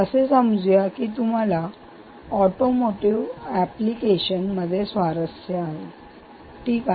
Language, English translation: Marathi, let us say you are interested in automotive application